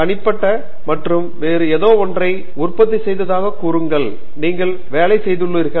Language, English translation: Tamil, Suppose to produce something which is unique and different and only you have done the work